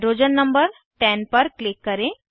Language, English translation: Hindi, Click on hydrogen number 10